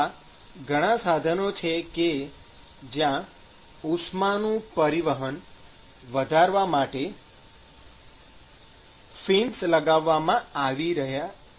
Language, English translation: Gujarati, So, there are several equipments where fins are being placed in order to increase the heat transport